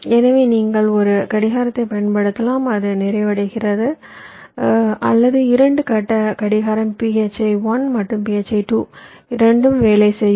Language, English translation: Tamil, so either you can use a clock and its complements or you can use, as i said, two phase clock, phi one and phi two